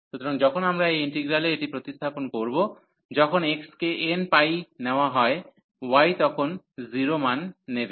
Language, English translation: Bengali, So, when we substitute this in this integral, so when the x was taking n pi values, the y will take 0 values